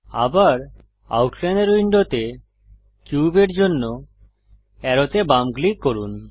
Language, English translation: Bengali, Again, left click arrow for cube in the Outliner window